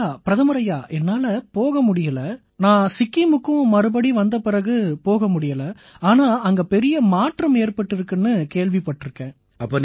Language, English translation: Tamil, Ji Prime Minister ji, I have not been able to visit since I have come back to Sikkim, but I have heard that a lot has changed